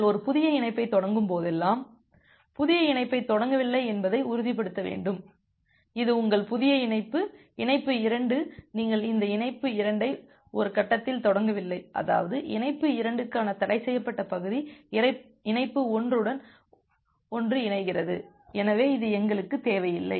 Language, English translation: Tamil, And whenever you are initiating a new connection you need to ensure that you are not starting the new connection say; this is your new connection, connection 2 you are not starting this connection 2 at a point such that the forbidden region for connection 2 overlaps with connection 1 so this we do not want